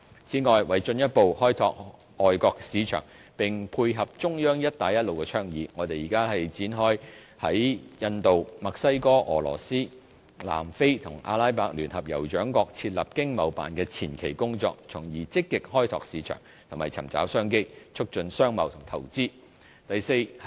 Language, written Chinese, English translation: Cantonese, 此外，為進一步開拓外國市場，並配合中央的"一帶一路"倡議，我們現正展開在印度、墨西哥、俄羅斯、南非和阿拉伯聯合酋長國設立經貿辦的前期工作，從而積極開拓市場和尋找商機，促進商貿及投資。, Moreover in order to further explore overseas markets and tie in with the Belt and Road Initiative we are commencing preliminary work to establish ETOs in India Mexico Russia South Africa and the United Arab Emirates so as to actively explore new markets and business opportunities and facilitate trade and investment